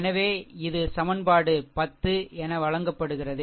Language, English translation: Tamil, So, this is actually given as equation 10